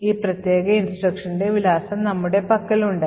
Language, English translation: Malayalam, We have the address of this particular instruction